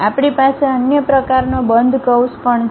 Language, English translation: Gujarati, We have another kind of closed curve also